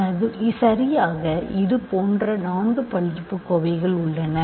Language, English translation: Tamil, So, now if you think about this, there are four such polynomials